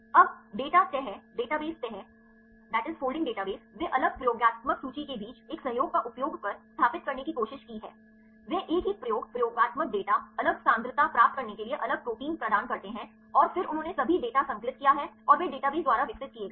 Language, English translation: Hindi, Now, folding data folding database they have tried to establish using a collaboration among different experimental list they assign the different proteins to a different experiment experimental list to get the data same concentrations right and then they compiled all the data and they developed by database